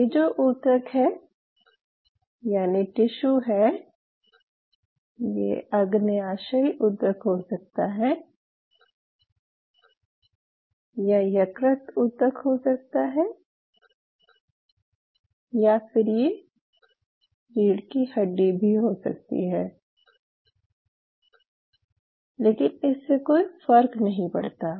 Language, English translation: Hindi, So, you know this is your tissue has this kind of it may be a pancreatic tissue it could be a liver tissue it could be a spinal cord it does not matter that is irrespective ok